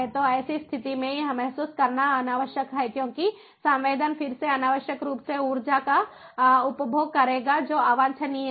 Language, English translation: Hindi, so in such a situation it is unnecessary to sense because the sensing would again unnecessarily consume energy, which is undesirable